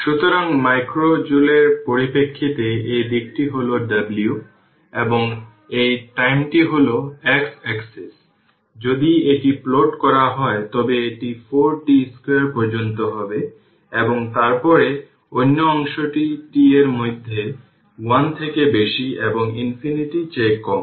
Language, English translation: Bengali, So, this side is W in terms of micro joule and this time you are this time is your x axis is your time second, if you plot it is 4 t square up to this and then that your what you call that your other part in between t greater than 1 less than infinity